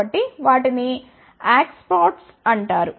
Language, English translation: Telugu, So, they are called as acceptors